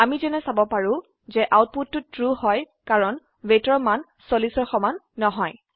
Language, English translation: Assamese, As we can see, the output is False because the value of weight is not equal to 40